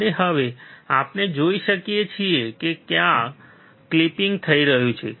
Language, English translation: Gujarati, And now we can see there is a clipping occurring